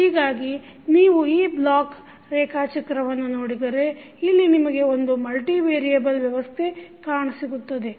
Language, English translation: Kannada, So, if you see this block diagram here you have one multivariable system